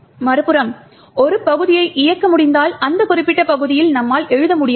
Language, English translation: Tamil, On the other hand, if you can execute a segment we cannot write to that particular segment